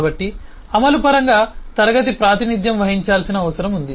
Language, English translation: Telugu, so state is what the class will need to represent in terms of the implementation